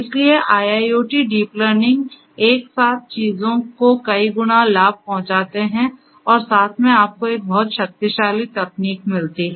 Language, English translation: Hindi, So, together IIoT, deep learning together makes things multiplicative in terms of the benefits that can be obtained and together you get a very powerful technology